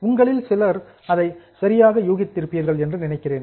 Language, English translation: Tamil, I think some of you have guessed it correct